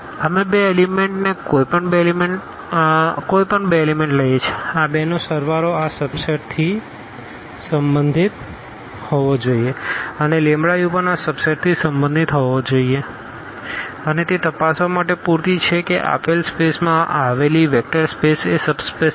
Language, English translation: Gujarati, We take the two elements any two elements the sum the addition of these two must belong to this subset and also the lambda u must belong to this subset and that is enough to check that the given space given vector space is a is a subspace